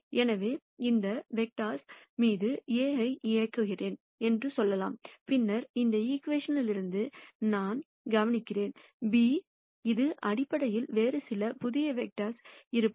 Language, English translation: Tamil, So, let us say I operate A on this vector which is Ax then I notice from this equation I get b, which is basically some other new direction that I have